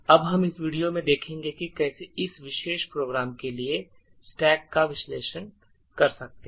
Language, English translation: Hindi, Now what we will see in this particular video is how we could actually analyse the stack for this particular program